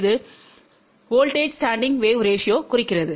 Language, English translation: Tamil, It stands for voltage standing wave ratio